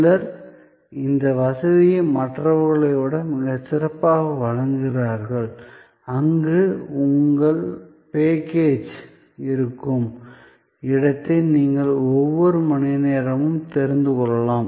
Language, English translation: Tamil, Some provide this facility much better than others, where you can know almost hour by hour where your package is